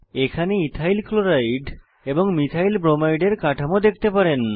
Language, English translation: Bengali, Here you can see EthylChloride and Methylbromide structures